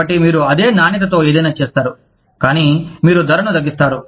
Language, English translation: Telugu, So, you make something of the same quality, but you reduce the price